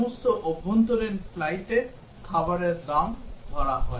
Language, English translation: Bengali, And for all domestic flights meals are charged